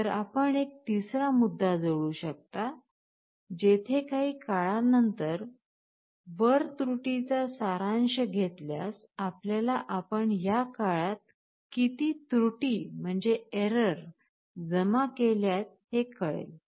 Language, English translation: Marathi, So, you can add a third point, where summation over time this error, this will give you how much error you are accumulating over time